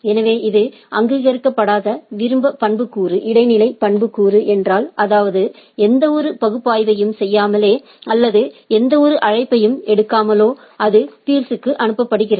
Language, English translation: Tamil, So, if it is unrecognized optional attribute transitive attribute; that means, it is being transmitted to the peer without doing any analysis or without taking any call on it right